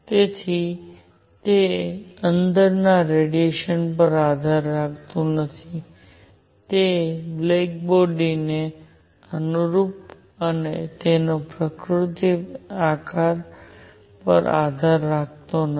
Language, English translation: Gujarati, So, it does not depend radiation inside is that corresponding to a black body and its nature does not depend on the shape